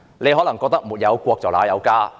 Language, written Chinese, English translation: Cantonese, 你可能認為"沒有國，哪有家"。, Some people may say there can be no home without the country